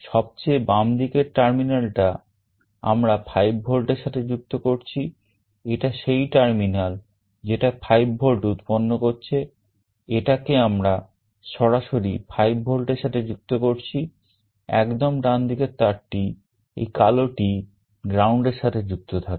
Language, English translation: Bengali, The leftmost terminal we are connecting to 5V, this is the terminal which is generating 5V we are connecting it directly to 5V, the rightmost wire this black one is connected to ground